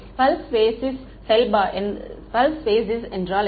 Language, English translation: Tamil, So, what is a pulse basis